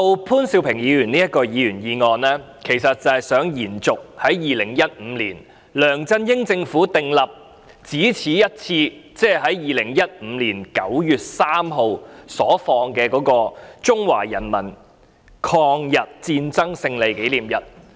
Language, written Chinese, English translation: Cantonese, 潘兆平議員提出的議員議案，其實是想延續2015年梁振英政府訂立的一次過假期，即2015年9月3日的中國人民抗日戰爭勝利紀念日。, The Members motion moved by Mr POON Siu - ping seeks to sustain the one - off holiday designated by the LEUNG Chun - ying Government in 2015 ie . the Victory Day of the Chinese Peoples War of Resistance against Japanese Aggression on 3 September 2015